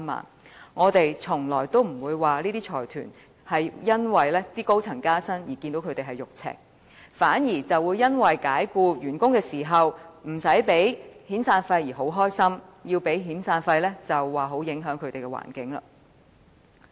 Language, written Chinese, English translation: Cantonese, 這些財團從來不會因為高層人員加薪而"肉赤"，反而會因為解僱員工時無須支付遣散費而感到高興，一旦要支付遣散費，便說影響營商環境。, These consortiums do not the pinch in handing out pay rise to their senior staff yet they are happy for not having to pay severance payment out of their pockets . Once they have to pay severance payment they will say that the business environment is affected